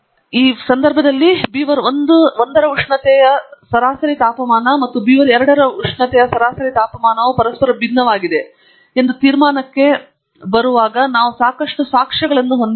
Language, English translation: Kannada, In this case, we have sufficient evidence in the data to come to a conclusion that the temperature average temperature of beaver1 and average temperature of beaver2 are different from each other